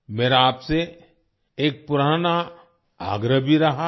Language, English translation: Hindi, And then there is this long standing request of mine